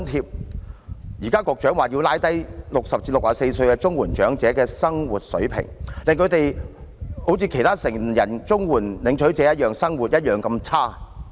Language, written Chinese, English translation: Cantonese, 局長現時表示要降低60歲至64歲綜援長者的生活水平，令他們與其他成人綜援領取者的生活一樣那麼差。, The Secretary is now calling elderly recipients of CSSA aged between 60 and 64 to lower their standard of living so that they will share the poor living standard now being endured by adult CSSA recipients